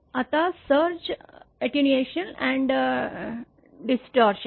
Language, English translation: Marathi, Now, Surge Attenuation and Distortion